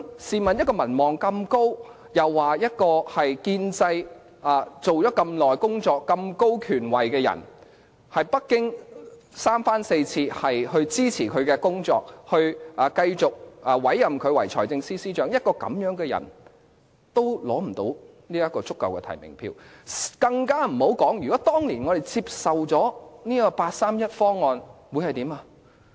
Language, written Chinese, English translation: Cantonese, 試問一位民望如此高，又為建制派工作多年，擁有如此高權位的人，北京三番四次支持其工作，繼續委任他為財政司司長，這樣的人也無法取得足夠的提名票，更莫說如果我們當年接受八三一方案又會怎樣呢？, John TSANG had been appointed and reappointed by Beijing to hold the senior position of the Financial Secretary showing the continuous support from Beijing . The former Financial Secretary is also a veteran member of the pro - establishment camp earning immense popularity . If a person with such advantages could not secure enough nominations may I ask what would have been the situation if we had accepted the 31 August proposals?